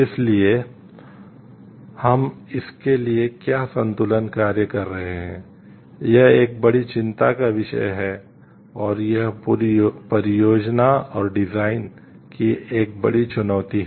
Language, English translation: Hindi, So, what balancing act we are doing for it is a major concern and it is a major challenge of the whole project and the design